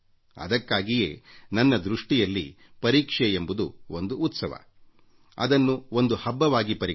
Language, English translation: Kannada, And therefore my opinion is that exams are like a festival and, hence, must be celebrated